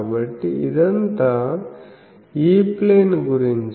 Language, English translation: Telugu, So, this is about E plane